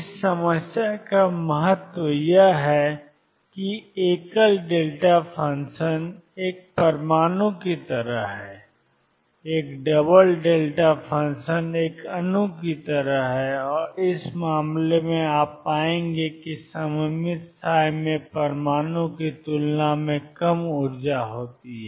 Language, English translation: Hindi, Significance of this problem is that a single delta function is like an atom and a double delta function is like a molecule and in this case, you would find that symmetric psi has energy lower than the atom